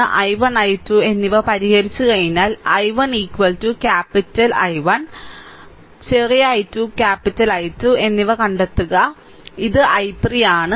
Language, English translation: Malayalam, So, once you solve I 1 and I 2, then you find out I 1 is equal to capital small i 1 is equal to capital I 1, small i 2 capital I 2 and this is I 3